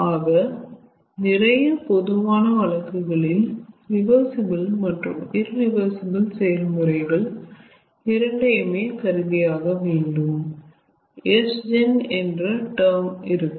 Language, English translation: Tamil, so in most generalized case, considering both reversible and irreversible process, there will be a term called s gen